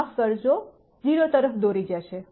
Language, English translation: Gujarati, Sorry will lead to 0